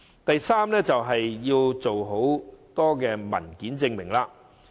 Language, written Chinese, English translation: Cantonese, 第三，便是計劃要求提供很多文件證明。, Thirdly a lot of supporting documents are requited under the Scheme